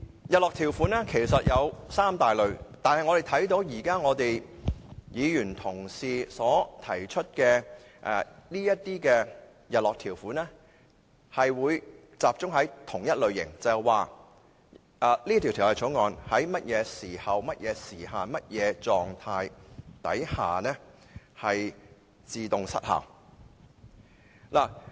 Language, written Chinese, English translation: Cantonese, 日落條款有三大類，而我們看到議員提出的日落條款集中在同一類型，也就是訂明《條例草案》會在甚麼時候或時限，以及甚麼狀態下自動失效。, There are three main types of sunset clauses and most of the sunset clauses proposed by Members belong to the same type . In other words it is set out clearly in the Bill when and under what circumstances the Bill will expire automatically